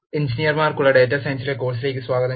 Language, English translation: Malayalam, Welcome to the course on data science for engineers